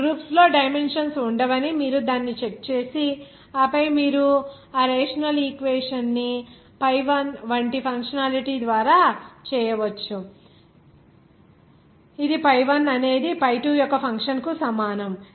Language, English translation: Telugu, You just check it that there will be no dimensions on these groups and then you can make that rational equation just by functionality like that pi1 will be is equal to a function of pi2